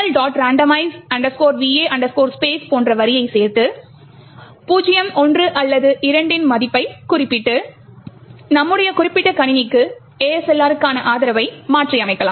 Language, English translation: Tamil, randomize va space and specify a value of 0, 1 or 2, the support for ASLR can be modified for your particular system